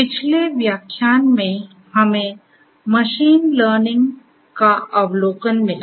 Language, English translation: Hindi, In the previous lecture, we got an overview of machine learning